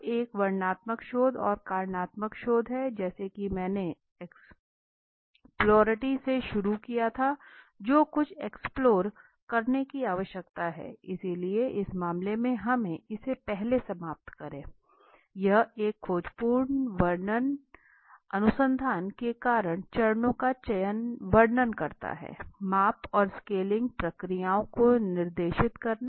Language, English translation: Hindi, Now one is the descriptive research and the causal research causal research so as I started with exploratory says something to explore now you need to explore it right so in this case let us finish this first this one design the exploratory descript your causal phases of the research specifying the measurement and scaling procedures